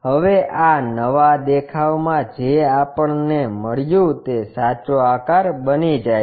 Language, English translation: Gujarati, Now, this new view whatever we got that becomes the true shape